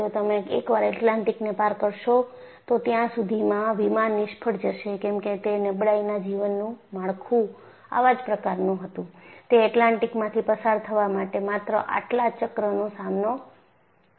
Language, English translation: Gujarati, By the time you cross once the Atlantic, the plane will fail because a fatigue life of that structure was such, it could with stand only so many cycles as it passes through Atlantic